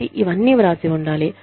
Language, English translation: Telugu, So, all of this should be written down